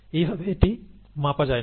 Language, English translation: Bengali, So it is not kind of scalable